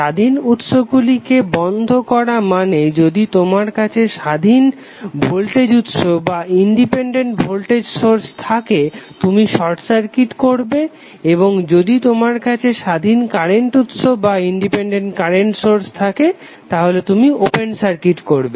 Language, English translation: Bengali, Switching off the independent source means, if you have independent voltage source you will short circuit and if you have an independent current source you will open circuit